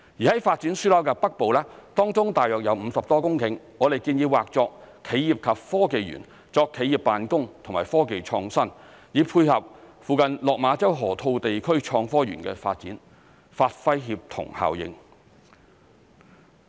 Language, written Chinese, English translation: Cantonese, 在發展樞紐的北部，當中約有50多公頃，我們建議劃作企業及科技園，作企業辦公和科技創新，以配合附近落馬洲河套地區創科園的發展，發揮協同效應。, To the north of the Development Node there are about 50 - odd hectares of land . We propose to designate it as an enterprise and technology park for enterprises to operate and for technology and innovation development . This will dovetail with the development of the nearby Innovation and Technology Park at the Lok Ma Chau Loop to create synergy